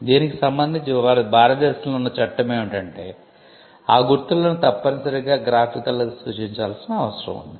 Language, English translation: Telugu, The law in India with regard to this is that the marks need to be graphically represented